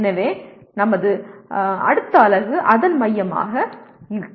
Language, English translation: Tamil, So that will be the focus of our next unit